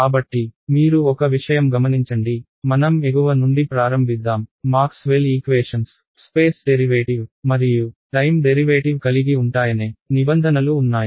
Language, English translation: Telugu, And so you notice one thing let us start from the top, Maxwell’s equations had a derivative in space and a derivative in time right